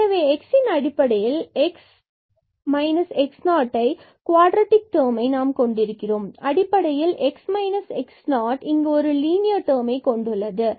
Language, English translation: Tamil, So, we have somehow the quadratic term in terms of x the difference x minus x naught and we have the linear term here in terms of x minus x naught